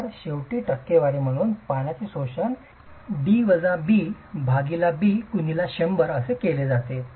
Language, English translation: Marathi, So, finally the water absorption as a percentage is calculated by D minus B by B into 100